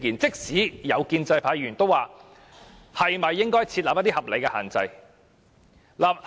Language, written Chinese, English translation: Cantonese, 即使建制派議員，也指出應該設立合理的限制。, Even some pro - establishment Members also opine that reasonable restrictions should be imposed